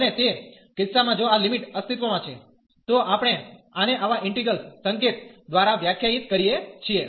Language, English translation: Gujarati, And in that case if this limit exist, we define this by such integral notation